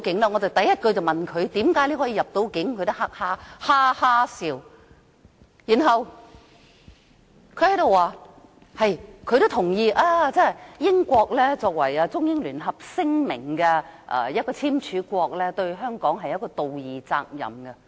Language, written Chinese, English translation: Cantonese, 我第一句便問他為何能夠入境，他也哈哈笑，然後說他亦認同英國作為《中英聯合聲明》的簽署國，對香港有道義責任。, I asked him right at the outset why he was granted entry . He laughed . Then he said he also agreed that being a signatory to the Sino - British Joint Declaration the United Kingdom had a moral obligation towards Hong Kong